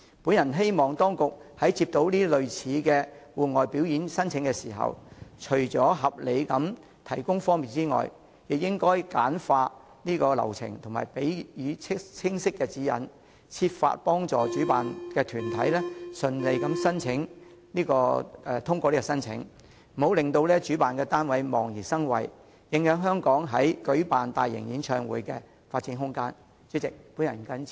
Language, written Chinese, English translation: Cantonese, 我希望當局在接獲類似的戶外表演申請時，除了合理地提供方便外，亦應簡化流程及給予清晰指引，設法協助主辦團體順利通過申請，不要令主辦團體對申請手續望而生畏，影響香港在舉辦大型演唱會方面的發展空間。, I hope that upon receipt of similar applications for outdoor performances the authorities will not only sensibly afford some convenience to the organizers but also streamline the procedures and provide clear instructions . Efforts should also be made to assist the organizers to go through the application procedures smoothly so that they will not recoil from the application formalities and the room for Hong Kongs development in organizing large - scale concerts will not be affected